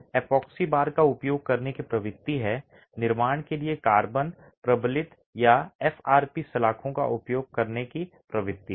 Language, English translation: Hindi, There is a trend to use epoxy bars, there is a tendency to use carbon fiber reinforced or FRP bars for construction